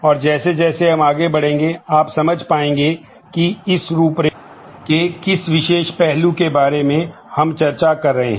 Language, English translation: Hindi, And as we go along you will be able to follow which particular aspect of this outline we are discussing about